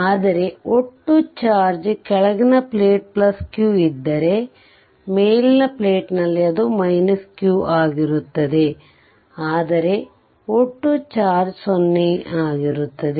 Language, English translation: Kannada, But remember that total charge will be either, if the bottom plate, this will be plus q or here it will be minus q, but total will be 0